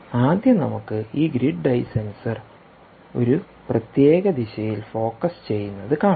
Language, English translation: Malayalam, let us first focus this grid eye sensor on one particular, in one particular direction